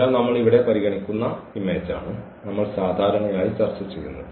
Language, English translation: Malayalam, So, we are exactly this is the image which we usually discuss which we considered here